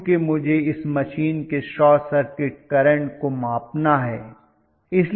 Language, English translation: Hindi, Because I would like to measure the current, short circuit current of this machine